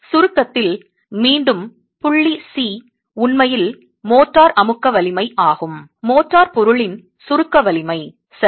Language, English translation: Tamil, The point C again on compression is actually the motor compressive strength, the compressive strength of the material of the motor